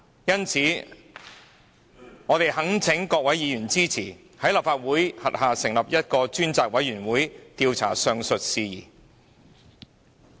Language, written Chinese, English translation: Cantonese, 因此，我們懇請各位議員支持在立法會轄下成立一個專責委員會，調查上述事宜。, For these reasons we implore Members to support the establishment of a select committee under the Legislative Council to investigate the aforementioned matter